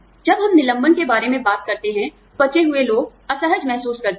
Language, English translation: Hindi, When we talk about layoffs, the survivors, may feel uncomfortable